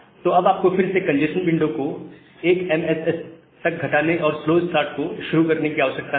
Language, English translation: Hindi, So, you do not need to reduce the congestion window again at 1 MSS, and start the slow start again